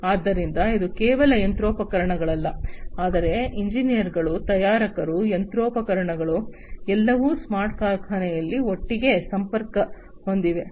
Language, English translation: Kannada, So, it is not just machinery, but engineers, manufacturers, machinery, everything connected together in a smart factory